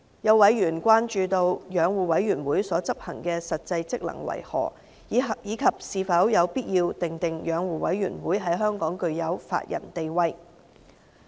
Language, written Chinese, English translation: Cantonese, 有委員關注到，養護委員會所執行的實際職能為何，以及是否有必要訂明養護委員會在香港具有法人地位。, Members had questioned the exact functions of the Commission as well as the necessity of giving the Commission a legal personality in Hong Kong